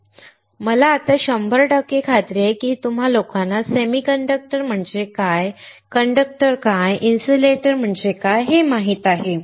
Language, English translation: Marathi, Now I am hundred percent sure that you guys know what is a semiconductor, what is conductor, and what is insulator